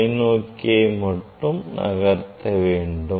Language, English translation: Tamil, only I am rotating this one telescope